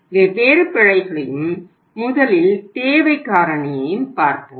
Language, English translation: Tamil, So let us see that let us work out the different errors and first is the demand factor